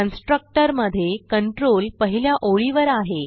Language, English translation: Marathi, The control comes to the first line in the constructor